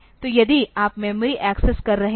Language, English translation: Hindi, So, if you are accessing the memory